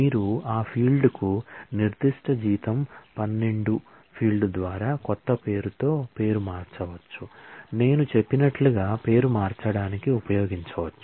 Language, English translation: Telugu, you can also rename that field that particular salary by 12 field by a new name, as I said as can be used to rename